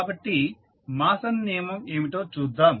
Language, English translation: Telugu, So, let us see what was the Mason’s rule